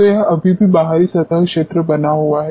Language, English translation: Hindi, So, it is still remains external surface area